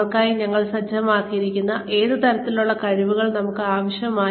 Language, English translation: Malayalam, What kind the skills do we need them to have, in order to achieve the goals, that we set for them